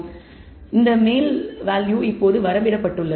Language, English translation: Tamil, So, this value is now bounded